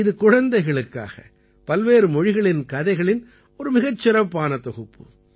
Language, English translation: Tamil, This is a great collection of stories from different languages meant for children